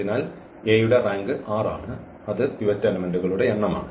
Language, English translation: Malayalam, So, the rank of A is r that is the number of the of the pivot elements